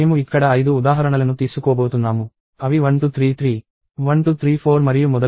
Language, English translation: Telugu, So, I am going to take five examples here namely, 1233, 1234 and so on